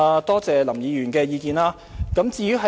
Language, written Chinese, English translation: Cantonese, 多謝林議員的意見。, I thank Mr LAM for his view